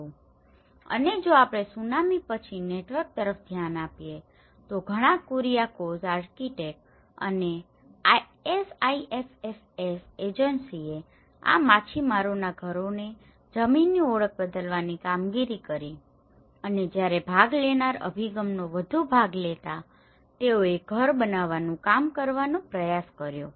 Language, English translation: Gujarati, And if we look at the network after the tsunami, many Kuriakose architect and as well as the SIFFS Agency has worked on this relocation of this fishermen houses they identified this land and they tried to work out the housing when a more of a participatory approach